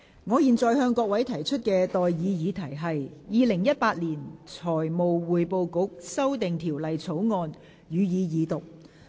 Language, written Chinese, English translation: Cantonese, 我現在向各位提出的待議議題是：《2018年財務匯報局條例草案》，予以二讀。, I now propose the question to you and that is That the Financial Reporting Council Amendment Bill 2018 be read the Second time